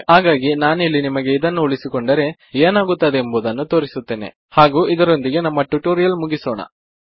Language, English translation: Kannada, So, let me just show you what would happen if we keep these in and then with that Ill end the tutorial